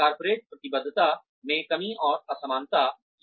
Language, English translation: Hindi, Corporate commitment is lacking and uneven